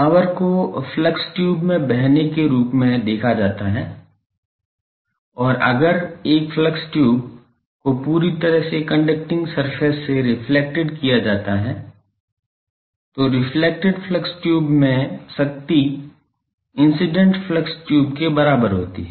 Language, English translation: Hindi, The power is viewed as flowing in flux tube and if a flux tube is reflected from a perfectly conducting surface, the power in the reflected flux tube equals that in the incident flux tube